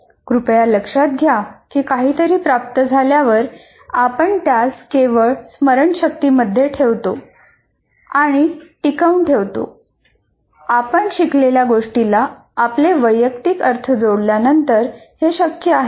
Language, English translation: Marathi, Please note that while something is getting, you will only put it into the memory and retain it provided that you add your personal interpretation of what has been learned